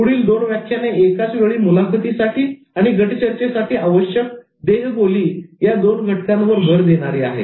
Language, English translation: Marathi, The next two lectures focused on body language for interviews and body language for group discussions simultaneously